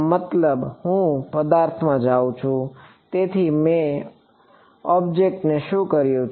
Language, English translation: Gujarati, That means, I am going into the object; so, what I have done to the object